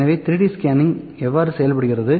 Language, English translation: Tamil, So, how does 3D scanning works